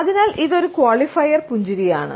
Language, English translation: Malayalam, So, this is a qualifier smile